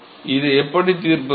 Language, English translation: Tamil, How do we solve this